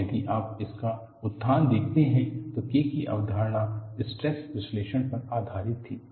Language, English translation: Hindi, And if you look at the development, the concept of K was based on stress analysis